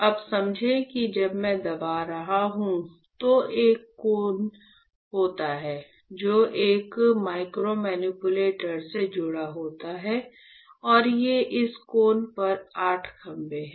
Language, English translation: Hindi, Now, you understand that when I am pressing my there is a cone right, which is connected to a micromanipulator as you can see here; and these on this cone there are 8 pillars right, 8 pillars are there